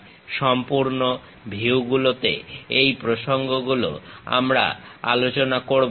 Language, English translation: Bengali, These are the topics what we will cover in sectional views